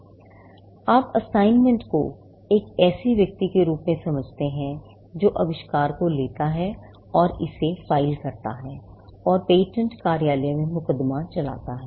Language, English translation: Hindi, Now, you will understand assignee, as a person who takes the invention and files it and prosecutes it at the patent office